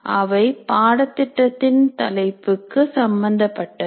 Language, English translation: Tamil, They are related to the program title